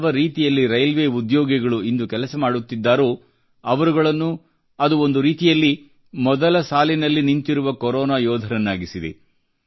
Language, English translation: Kannada, The way our railway men are relentlessly engaged, they too are front line Corona Warriors